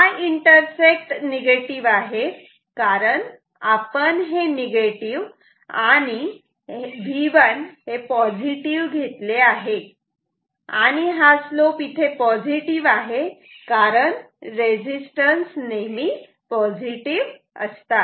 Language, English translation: Marathi, So, the intersect is negative, because this is negative assuming V 1 positive and this is the slope here is of course, positive because resistances are positive